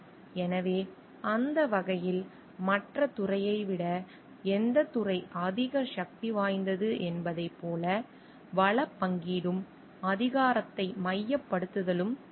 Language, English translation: Tamil, So, because in that way there will be the allocation of resources and centralization of power like which department is more powerful than the other